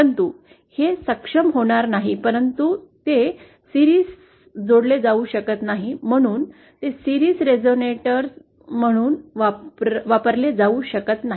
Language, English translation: Marathi, But it will not be able to but since it cannot be connected in series, hence it cannot be used as a resonator in series